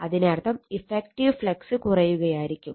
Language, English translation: Malayalam, That means, effective flux will be getting reduced